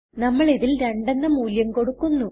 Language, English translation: Malayalam, And here we have two values